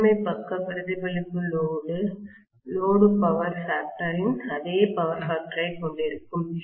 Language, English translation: Tamil, And the primary side reflection will have the same power factor as that of the load power factor